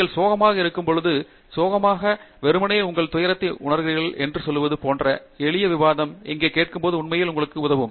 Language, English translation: Tamil, Simple discussion like they say, when you are upset, when you are sad, simply pouring out your grief, listening here will really help you